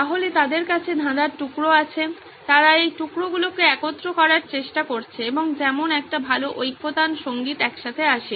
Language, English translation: Bengali, So they have pieces of the puzzle, they are trying to piece it altogether and like a good music ensemble it all comes together